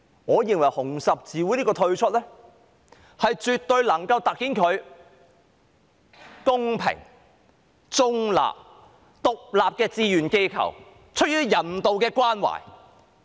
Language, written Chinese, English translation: Cantonese, 我認為紅十字會今次退出，絕對可以突顯它是公平、中立、獨立的志願機構，出於人道的關懷。, I think HKRCs withdrawal this time definitely highlights the fact that it is a fair neutral and independent voluntary organization which cares for humanity